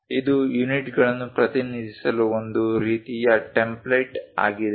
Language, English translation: Kannada, This is a one kind of template to represent units